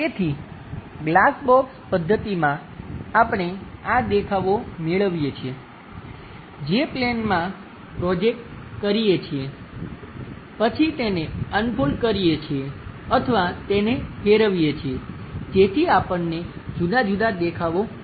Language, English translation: Gujarati, So, in glass box method, we construct these views, project it onto the planes, then fold them or perhaps rotate them so that different views, we will get